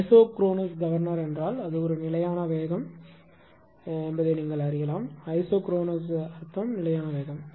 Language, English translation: Tamil, Isochronous governor means that it is a constant field your what you call isochronous meaning is the constant speed